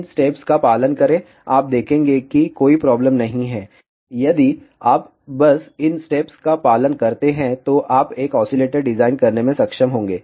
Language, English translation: Hindi, Follow these steps you will see that there is no problem at all you will be able to design an oscillator if you simply follow these steps